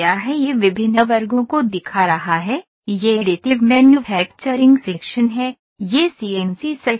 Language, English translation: Hindi, It is showing different sections, this is additive manufacturing section, this is CNC sections